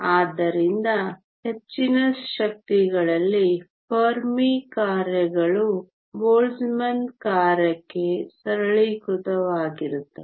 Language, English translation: Kannada, So, thus, at high energies the Fermi functions become simplified to the Boltzmann function